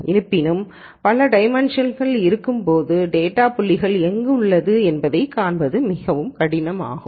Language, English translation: Tamil, However, when there are multiple dimensions it is very di cult to visualize where the data point lies and so on